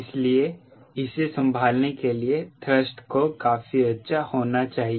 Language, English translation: Hindi, so thrust should be good enough to handle this